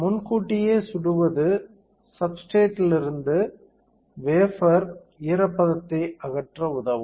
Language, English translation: Tamil, So, pre bake will help to remove any moisture from the wafer from the substrate